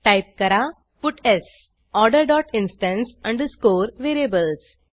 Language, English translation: Marathi, Type puts Order dot instance underscore variables